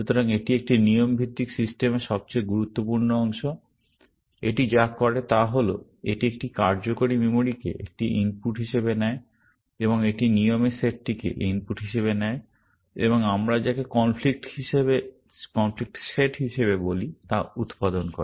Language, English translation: Bengali, So, this is the most important part of a rule based system; what it does is it takes a working memory as an input, and it takes the set of rules as input, and produces what we call as a conflict set